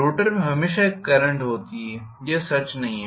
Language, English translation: Hindi, There is always a current in the rotor it is not true